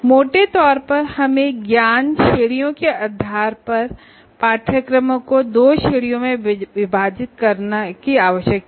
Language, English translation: Hindi, The broadly we need to divide the courses into two categories in another way based on the knowledge categories